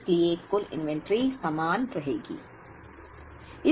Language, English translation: Hindi, Therefore, the aggregate inventory will remain the same